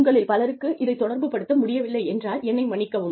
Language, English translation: Tamil, I am sorry, if many of you cannot relate to this